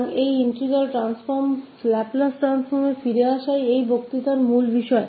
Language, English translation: Hindi, So, these integral transform, coming back to the Laplace Transform again that is the main topic of this lecture